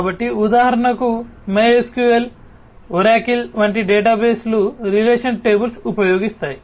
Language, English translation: Telugu, So, for example, databases like MySQL, Oracle, etcetera they use relational tables